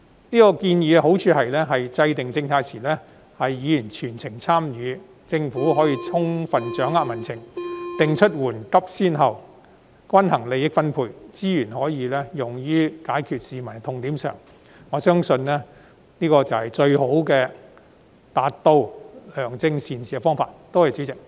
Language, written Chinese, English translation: Cantonese, 這建議的好處是制訂政策時，議員能夠全程參與，政府可以充分掌握民情，定出緩急先後、均衡利益分配，將資源用於解決市民的痛點，我相信這是實現良政善治的方法。, The advantage of this proposal is that Members can participate throughout the entire process of policy formulation so that the Government can have a good grasp of public sentiment set priorities even out distribution of interests and allocate resources to address the pain - points of the public . I believe this is the way to achieve benevolent governance